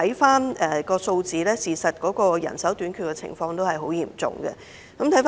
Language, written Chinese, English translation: Cantonese, 從數字來看，人手短缺的情況實在嚴重。, As evident in the figures the manpower shortage is really serious